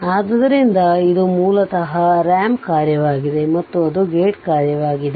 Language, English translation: Kannada, So, it is basically a ramp function and your another thing is that is a gate function right